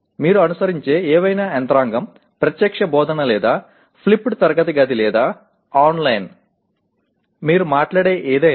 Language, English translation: Telugu, Whatever mechanism that you have, direct teaching or flipped classroom or online; anything that you talk about